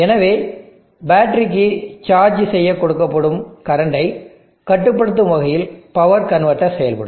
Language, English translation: Tamil, So the power converter will behave in such a manner that it will control the current that that is being fed into the battery to charge it up